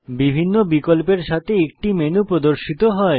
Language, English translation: Bengali, A menu opens containing different window options